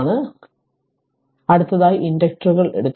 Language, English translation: Malayalam, So, next we will take the inductors right